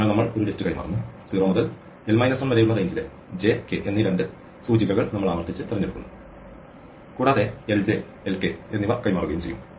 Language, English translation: Malayalam, So, we pass it a list and we repeatedly pick two indexes j and k in the range 0 to length of l minus 1 and we exchange lj and lk and how many times we do this